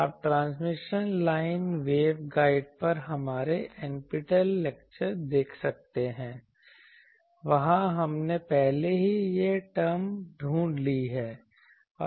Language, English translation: Hindi, You will see your you can see our NPTEL lecture on transmission lines wave guides, there we have already found these terms